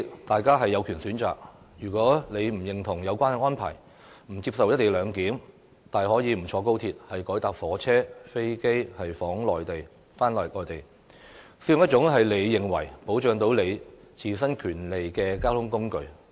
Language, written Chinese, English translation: Cantonese, 大家有權選擇搭不搭高鐵，如果不認同有關安排，不接受"一地兩檢"，大可不坐高鐵，改乘其他火車或飛機往內地，又或使用自己認為可保障自身權利的交通工具。, One has the right to choose whether to take XRL or not . If he does not endorse such an arrangement and does not accept the co - location arrangement he can very well refuse to travel by XRL and can travel to the Mainland by other trains or by plane or by any other means of transport which will protect his own rights